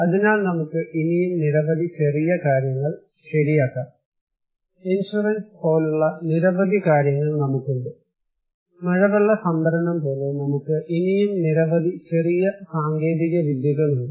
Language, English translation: Malayalam, So, we can have many more such small things right, we have many more such like insurance, like rainwater harvesting, we have many more such small technologies